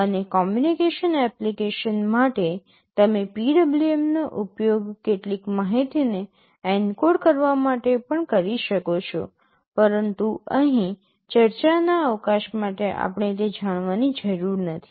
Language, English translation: Gujarati, And for communication applications you can also use PWM to encode some information, but for the scope of discussion here we do not need to know that